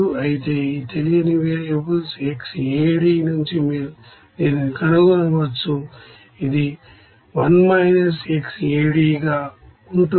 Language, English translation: Telugu, But you can find it out from this unknown variables of xA,D as 1 minus xA,D